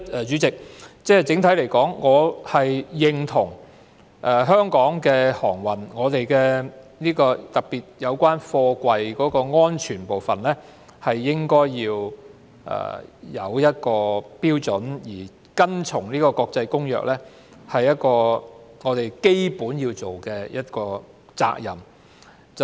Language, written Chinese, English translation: Cantonese, 主席，整體而言，我認同香港的航運，特別有關貨櫃安全的部分應該訂有標準，而遵從《公約》更是我們的基本責任。, President on the whole I agree that standards must be set with regard to our maritime services particularly the safety of containers and it is our primary responsibility to comply with the Convention